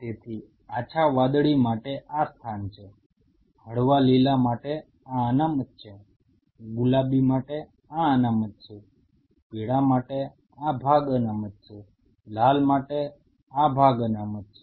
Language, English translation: Gujarati, So, for light blue this place is for light green this is reserved, for pink this is reserved, for yellow this part is reserved, for red this part is reserved